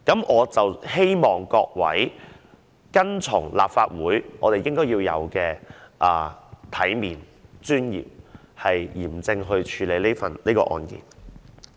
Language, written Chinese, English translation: Cantonese, 我希望各位按照立法會一貫的行事方式，要有體面地、有尊嚴地、嚴正地處理這事件。, I hope Members will deal with the matter in a decent dignified and solemn way according to the established practices and procedures of the Legislative Council